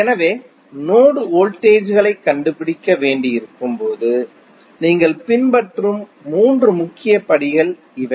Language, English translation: Tamil, So, these would be the three major steps which you will follow when you have to find the node voltages